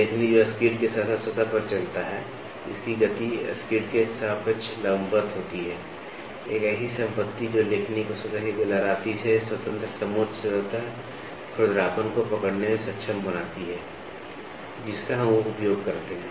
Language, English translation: Hindi, The stylus that moves over the surface along the skid such that, its motion is vertical relative to the skid, a property that enables the stylus to capture the contour surface roughness independent of the surface waviness we use this